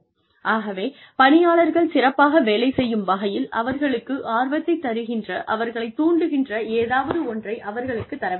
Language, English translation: Tamil, So, give them something, that will make them interested, that will stimulate them, to perform better